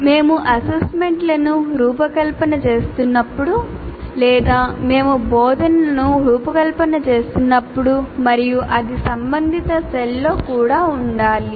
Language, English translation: Telugu, And when we are designing assessments or when we are designing instruction, that also we need to locate in the corresponding cell